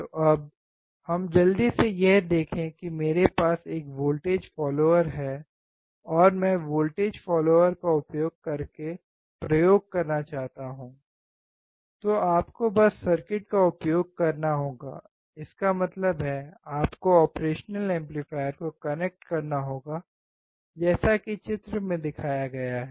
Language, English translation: Hindi, So now, let us quickly see if I have a voltage follower, and if I don’t, to do an experiment using a voltage follower, you have to just use the circuit; that means, you have to connect the operation amplifier as shown in the figure